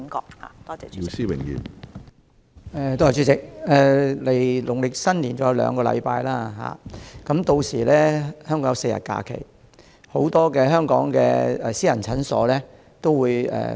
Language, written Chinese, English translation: Cantonese, 主席，距離農曆新年尚有兩個星期，屆時香港會有4天假期，很多私家診所會休息4至7天。, President there are two weeks to go before the Lunar New Year by then we will have four days of holiday in Hong Kong during which many private clinics will be closed for four to seven days